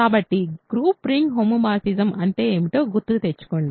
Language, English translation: Telugu, So, recall what is a group ring homomorphism